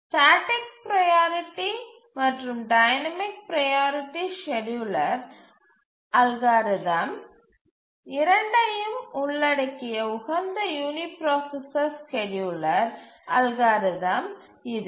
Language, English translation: Tamil, It is the optimal uniprocessor scheduling algorithm including both static priority and dynamic priority scheduling algorithms